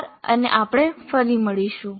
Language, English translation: Gujarati, Thank you and we will meet again